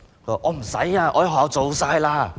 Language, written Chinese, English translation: Cantonese, 我已在學校做完了。, I have finished it at school